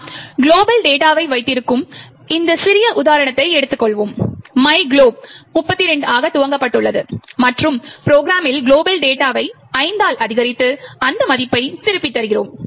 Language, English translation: Tamil, Let us take this small example where we have my global data initialize to 32 and in the program, we increment with the global data by 5 and return that value